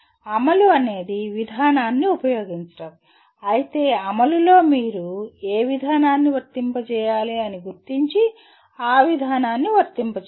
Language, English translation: Telugu, Implement is use the procedure whereas in execute you have to identify what procedure to be applied and then apply the procedure